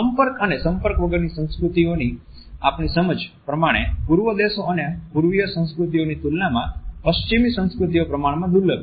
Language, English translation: Gujarati, Our understanding of contact and non contact cultures tells us that in comparison to Eastern countries and Eastern cultures touching is relatively scarce in the Western cultures